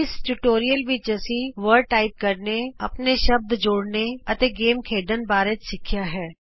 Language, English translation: Punjabi, In this tutorial we learnt to type phrases, add our own words, and play a game